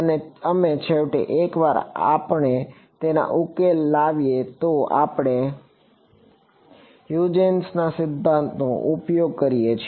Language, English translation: Gujarati, And we finally, once we solve for it we use the Huygens principle right